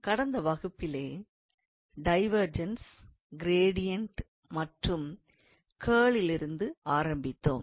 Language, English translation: Tamil, So, in the last class, we started with the examples on divergence, gradient and curl